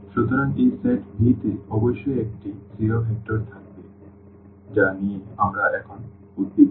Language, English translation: Bengali, So, there must be a zero vector in this set V which we are concerned now